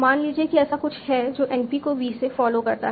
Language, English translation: Hindi, Suppose there was something that derives np followed by v